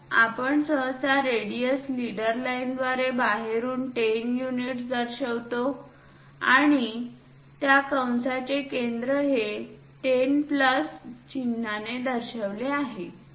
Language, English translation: Marathi, So, we usually show that radius from outside through leader line with 10 units and center of that arc is this 10 plus sign